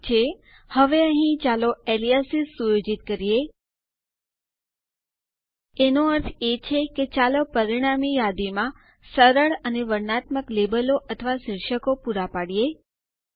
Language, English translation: Gujarati, Okay, now here, let us set aliases Meaning, let us provide friendly and descriptive labels or headers in the resulting list